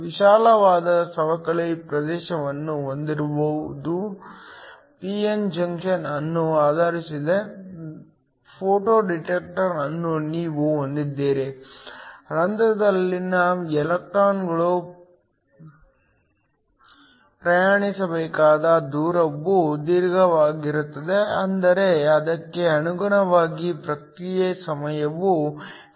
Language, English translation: Kannada, If you have a photo detector that is based upon a p n junction with a wide depletion region then the distance the electrons in holes have to travel is longer which means correspondingly the response time is short